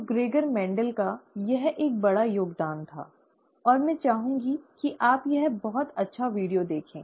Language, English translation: Hindi, So that is, that was a big contribution by Mendel, Gregor Mendel, and I would like you to watch this very nice video